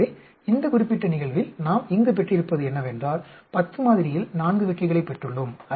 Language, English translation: Tamil, So, we just what we have got here in this particular thing is, we have got 4 successes in a sample of 10